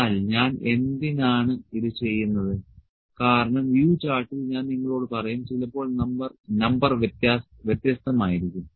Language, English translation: Malayalam, But why I am doing it because in the U chart I will tell you that sometimes the number is different